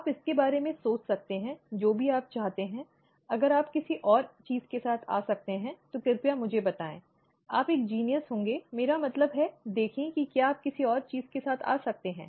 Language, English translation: Hindi, You can think about it, all all you want, if you can come up with something else, please let me know, you would be a genius or , I mean, see whether you can come up with something else